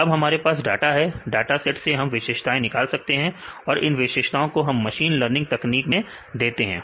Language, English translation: Hindi, So, now, we have the data; so we have the data sets, from the data sets we derive features and the features we give in the machine learning technique